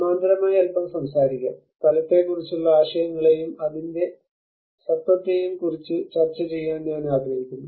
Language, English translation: Malayalam, Let us talk a little bit of the in parallel I would like to discuss about the concepts of place and its identity